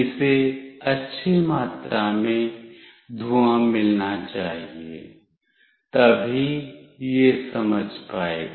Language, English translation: Hindi, It should receive a good amount of smoke, then only it will sense